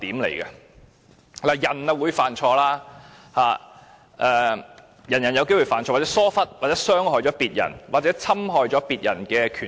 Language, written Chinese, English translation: Cantonese, 人類是會犯錯的，人人都有機會犯錯，或會疏忽、會傷害他人或侵害別人權益。, To err is human . All persons are liable to making mistakes lapsing into negligence causing harm to others or infringing upon others rights